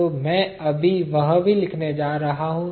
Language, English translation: Hindi, We are going to use that fact over here